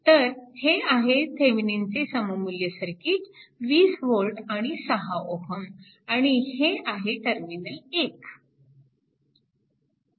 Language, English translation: Marathi, So, this is actually your Thevenin equivalent circuit that is your 20 volt and 6 ohm and this is the terminal 1 right